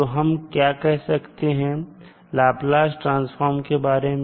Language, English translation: Hindi, So what we can say about the Laplace transform